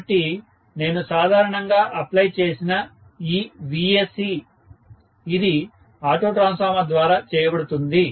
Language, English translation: Telugu, So, this Vsc what I applied normally done through, it will be done through an auto transformer